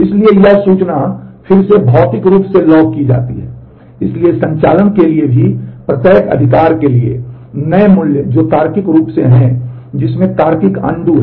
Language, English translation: Hindi, So, a redo information is logged physically, so new values for each right even for operations which are logically, which has logical undo